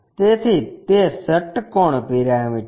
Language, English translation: Gujarati, So, it is a hexagonal pyramid